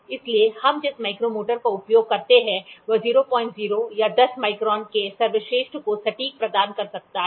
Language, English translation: Hindi, So, the micrometer that we use can provide can provide an accurate to the best of 0